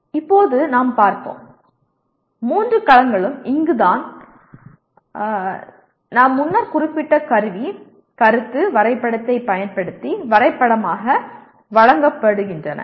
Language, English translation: Tamil, Now let us take a look at the, all the three domains are presented here graphically using the tool I have mentioned earlier, Concept Map